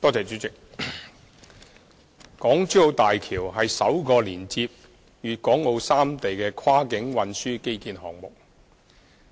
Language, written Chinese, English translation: Cantonese, 主席，港珠澳大橋是首個連接粵港澳三地的跨境運輸基建項目。, President the Hong Kong - Zhuhai - Macao Bridge HZMB is an unprecedented cross - boundary transport infrastructure connecting Guangdong Hong Kong and Macao